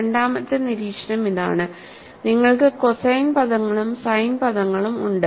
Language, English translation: Malayalam, Observation number two is, you have cosine terms as well as sin terms